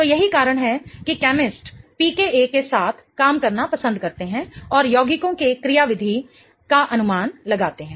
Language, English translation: Hindi, So, that's why chemists love to work with PKs and predict the mechanisms of the compounds